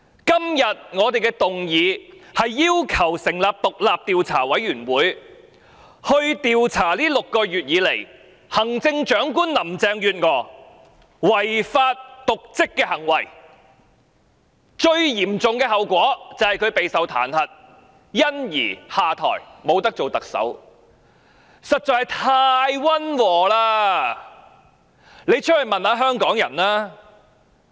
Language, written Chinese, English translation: Cantonese, 今天我們的議案是要求成立獨立調查委員會，調查這6個月以來行政長官林鄭月娥違法及瀆職的行為，最嚴重的後果是她會遭受彈劾而下台，這樣做實在是太溫和了，出去問問香港人吧。, We have proposed this motion today to request the forming of an independent investigation committee to investigate the breaches of law and dereliction of duty committed by Chief Executive Carrie LAM in the past six months . The most serious consequence is her being impeached and stepping down . It is too mild for us to do so